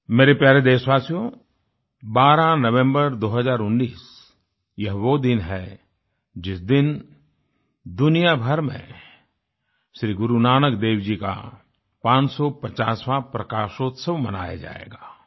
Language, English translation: Hindi, My dear countrymen, the 12th of November, 2019 is the day when the 550th Prakashotsav of Guru Nanak dev ji will be celebrated across the world